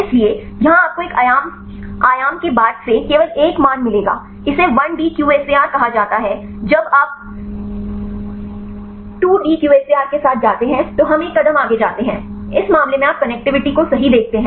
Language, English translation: Hindi, So, here you will get only one value since one dimension, this called the 1D QSAR when you go with the 2D QSAR we go with the one step further in this case you see the connectivity right